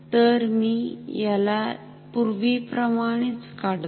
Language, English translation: Marathi, So, let me draw it in the same way as I did before